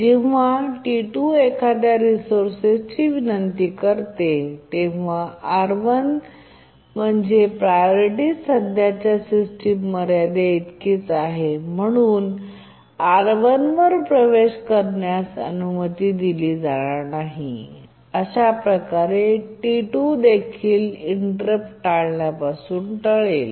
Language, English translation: Marathi, When it requests a resource, let's say R1, yes, because its priority is just equal to the current system ceiling, it will not be allowed access to R1 and T2 can also undergo avoidance related inversion